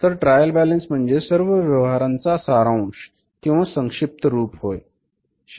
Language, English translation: Marathi, Trial balance is what is the summary of all the accounting transactions